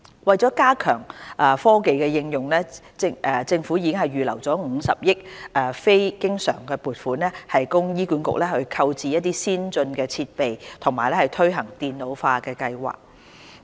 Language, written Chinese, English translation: Cantonese, 為加強科技應用，政府已預留50億元非經常撥款，供醫管局購置先進設備及推行電腦化計劃。, To enhance the application of technology the Government has set aside a non - recurrent funding of 5 billion for HA to acquire advanced equipment and implement computerization projects